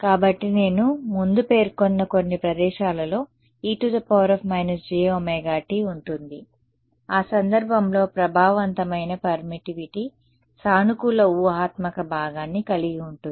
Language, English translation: Telugu, So, some places as I mentioned before will have a e to the minus j omega t convention in that case the effective permittivity will have a positive imaginary part ok